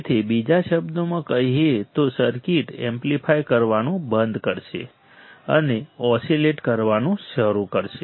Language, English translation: Gujarati, So, in other words the circuit will stop amplifying and start oscillating right